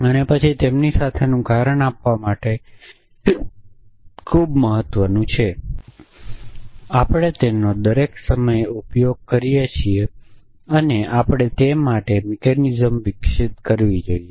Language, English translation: Gujarati, And then reason with them is very important for us we use it all the time and we must develop mechanisms to that